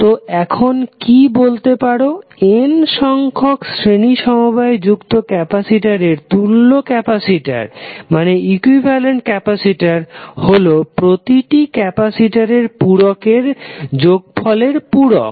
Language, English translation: Bengali, So what you can say, equivalent capacitance of n parallel connected capacitor is nothing but the sum of the individual capacitances